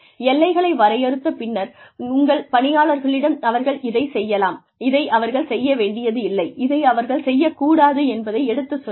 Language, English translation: Tamil, And, once the boundaries are defined, and you tell your employees that, this is what they can do, and this is what they are not supposed to, what they do not need to do